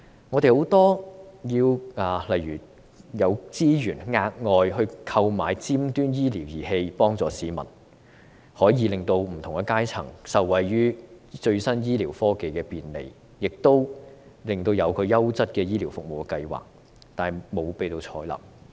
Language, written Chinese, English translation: Cantonese, 我們有很多建議，例如調撥額外資源購買尖端醫療儀器幫助市民，可以令不同階層受惠於最新醫療科技的便利，亦有個優質醫療服務的計劃，但皆未獲採納。, We have many suggestions for example allocating additional resources to purchase cutting - edge medical equipment to help the public so that people from different walks of life can benefit from the accessibility to the latest medical technology . We have also proposed a quality medical service scheme but it has not been adopted either